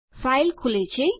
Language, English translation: Gujarati, The file opens